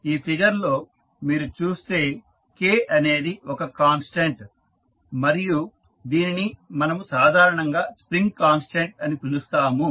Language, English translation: Telugu, If you see in this figure, K is one constant which we generally call it a spring constant and then it is directly proportional to the displacement